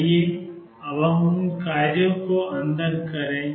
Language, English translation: Hindi, Let us put those functions n